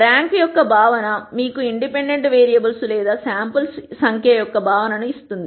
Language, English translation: Telugu, The notion of rank, gives you the notion of number of in dependent variables or samples